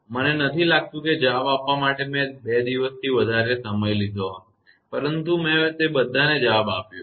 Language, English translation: Gujarati, I do not think, I have taken more than two days to reply, but i have replied to all of them